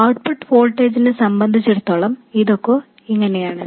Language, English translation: Malayalam, This is as far as the output voltage is concerned